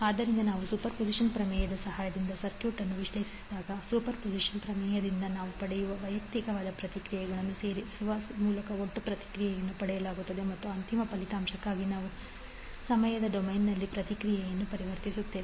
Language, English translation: Kannada, So when we will analyze the circuit with the help of superposition theorem the total response will be obtained by adding the individual responses which we get from the superposition theorem and we will convert the response in time domain for the final result